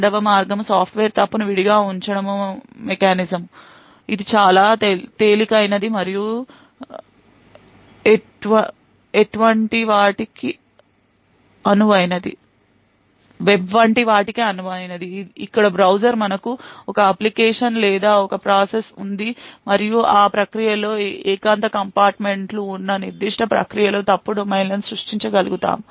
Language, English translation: Telugu, The second way is the Software Fault Isolation mechanism which is far more lightweight and suitable for things like the web browser where we have one application or one process and we are able to create fault domains within that particular process which are secluded compartments within that process